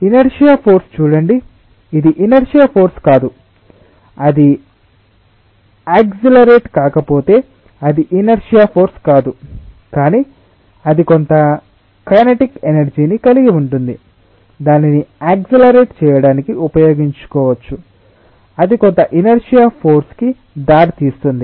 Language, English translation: Telugu, as i told you that it is not exactly always the inertia force as such, if it is not accelerating it is not inertia force but it is having some kinetic energy which if could have been utilized to accelerate it, it could have been ah, it could have given rise to some inertia force